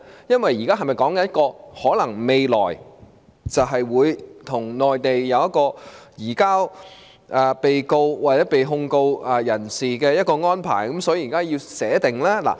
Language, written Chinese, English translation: Cantonese, 是否意味着未來我們會與內地簽訂一些移交被告或被定罪人士的安排，所以現在要預先草擬呢？, Does it mean that in future we will make certain arrangements for the surrender of accused or convicted persons with the Mainland and therefore we have to draft a provision in advance?